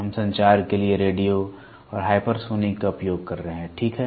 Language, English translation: Hindi, We are using radio and hypersonic for communication, ok